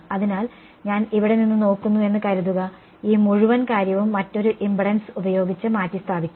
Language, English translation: Malayalam, So, looking from either of suppose I look from here, this whole thing can be replaced by another impedance right